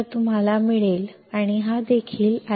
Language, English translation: Marathi, So, you get and this is also I D